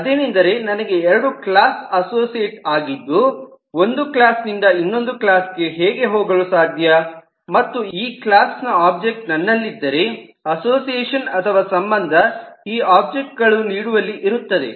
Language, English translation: Kannada, that is, if i have two classes associated, then how can i go from one class to the other, which means if i have objects of this class, the association or the relationship is between this objects